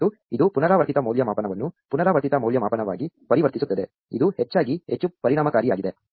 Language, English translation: Kannada, And this converts the recursive evaluation into an iterative evaluation, which is often much more efficient